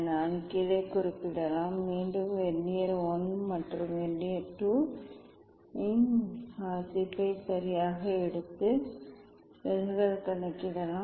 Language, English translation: Tamil, I can note down and again take the reading of Vernier I and Vernier II right and get the deviation calculate the deviation